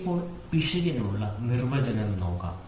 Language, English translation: Malayalam, So, now, let us look at the definition for error